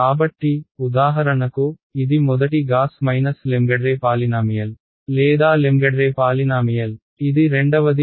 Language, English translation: Telugu, So, for example, this is the first Gauss Lengedre polynomial or Lengedre polynomial, this is the second and this is p 2 right